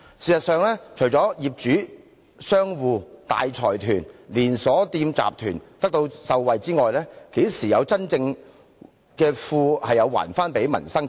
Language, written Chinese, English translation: Cantonese, 事實上，除了業主、商戶、大財團和連鎖店集團會受惠外，這些措施怎樣真正還富於民呢？, In fact apart from benefiting the property owners shop owners big consortiums and chain stores and shops how will these measures really return wealth to the people?